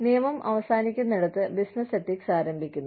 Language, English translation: Malayalam, Business ethics begins, where the law ends